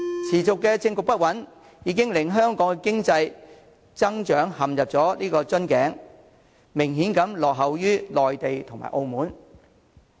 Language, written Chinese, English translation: Cantonese, 持續的政局不穩，已令香港經濟增長陷入瓶頸，明顯落後於內地及澳門。, The ongoing political instability has stuck Hong Kongs economic growth in a bottleneck . Hong Kong already lags behind the Mainland and Macao in economic growth